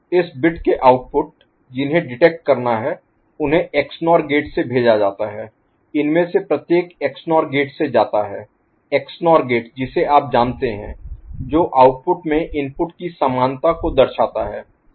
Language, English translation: Hindi, The outputs of this bits that are to be detected they are made to go through XNOR gate each of these are going through XNOR gate XNOR gate you know, at the output indicates a equality of the inputs